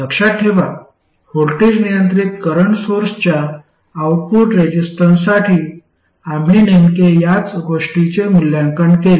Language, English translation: Marathi, This is the exact same arrangement we used with the voltage control current source